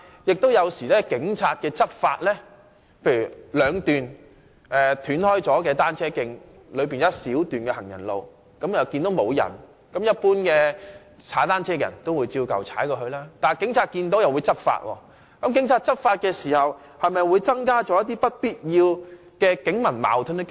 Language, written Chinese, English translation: Cantonese, 舉例來說，在兩段截斷的單車徑間有一小段行人路，一般單車使用者看到沒有行人時，也會直接踏單車過去，但警察看到時會執法，這無疑增加不必要的警民矛盾。, For instance cyclists in general will directly cross a short stretch of pavement between two sections of the cycle track when they find that there are no pedestrians on the pavement . However law enforcement action will be taken by police officers when they see this happen . So the chances of unnecessary conflicts between police officers and members of the public will undoubtedly increase